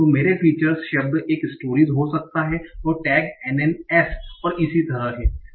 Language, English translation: Hindi, So my feature could be the word is storage and tag is NNS